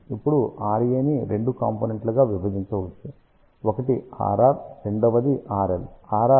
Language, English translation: Telugu, Now, R A can be divided into two terms; one is R r; second one is R L